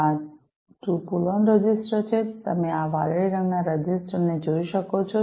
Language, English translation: Gujarati, These are the 2 pull on registers, right, you can see these blue colored ones these registers